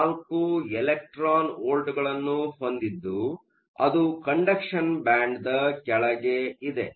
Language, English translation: Kannada, 4 electron volts below the conduction band